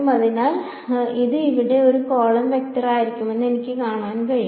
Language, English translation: Malayalam, So, I can see so this will be a column vector over here